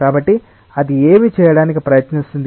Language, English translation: Telugu, So, what it tries to do